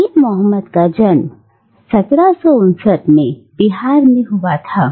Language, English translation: Hindi, And Dean Mohammad was born in Bihar in 1759